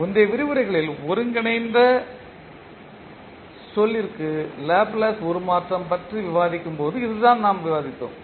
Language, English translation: Tamil, So this is what we discussed when we discuss the Laplace transform for the integral term in the previous lectures